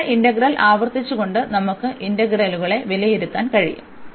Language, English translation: Malayalam, And we can evaluate the integrals by this repeated a single integrals